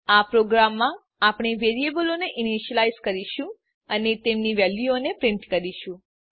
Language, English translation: Gujarati, In this program we will initialize the variables and print their values